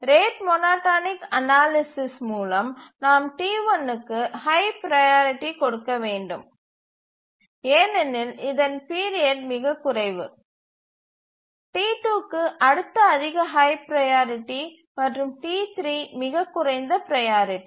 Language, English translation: Tamil, By the rate monotonic analysis we have to give the highest priority to T1 because its period is the shortest, next highest priority to T2 and T3 is the lowest priority